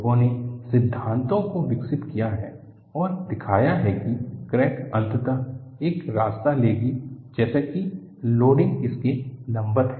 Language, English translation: Hindi, People have developed theories and showed that crack will eventually take a path such that, the loading is perpendicular to that